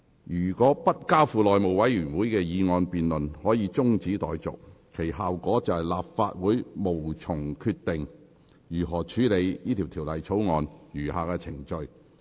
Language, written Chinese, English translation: Cantonese, 若就該議案進行的辯論可以中止待續，其效果是立法會無從決定如何處理法案的餘下程序。, If adjournment of the debate of that motion is allowed it will have the effect that the Legislative Council cannot decide on how the remaining proceedings of the Bill be dealt with